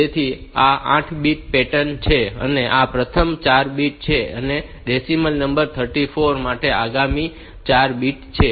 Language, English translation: Gujarati, So, this is the 8 bit pattern; this is the first 4 bit and this is the next 4 bit for the decimal number 34